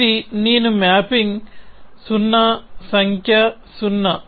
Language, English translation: Telugu, So, this is the mapping I maps to 0, the number 0